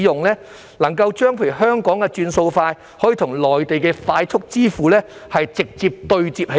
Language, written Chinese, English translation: Cantonese, 例如怎樣將香港的"轉數快"與內地的快速支付直接對接呢？, For example how to connect the Faster Payment System in Hong Kong with the fast payment system in the Mainland directly?